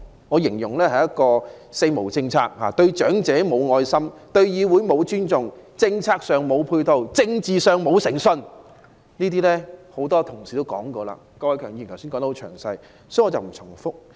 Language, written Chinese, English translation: Cantonese, 我形容這是一個"四無"政策，對長者"無愛心"、對議會"無尊重"、政策上"無配套"、政治上"無誠信"，這些論點多位議員均已論述，郭偉强議員剛才也說得很詳細，所以我不會重複。, I will say that this is a Four - no policy showing no love to the elderly no respect to the legislature no support in policies and no integrity in politics . A number of Members have already discussed these arguments and Mr KWOK Wai - keung has just given a detailed account so I will make no repetitions here